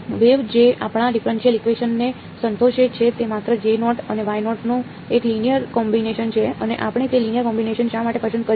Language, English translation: Gujarati, The waves that satisfy our differential equation are just a linear combination of J naught and Y naught, and why did we choose that linear combination